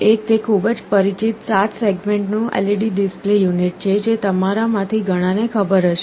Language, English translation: Gujarati, One is the very familiar 7 segment LED display unit that many of you know of